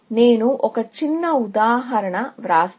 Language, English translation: Telugu, So, let me write a small example